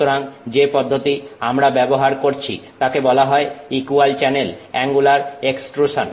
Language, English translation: Bengali, So, so the process that we use is something called equal channel angular extrusion